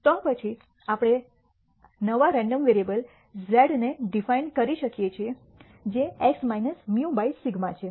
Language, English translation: Gujarati, Then we can de ne a new random variable z which is x minus mu by sigma